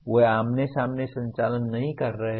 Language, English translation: Hindi, They are not operating face to face